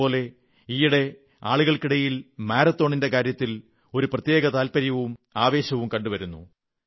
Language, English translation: Malayalam, Anyway, at present, people have adopted and found a passion for the marathon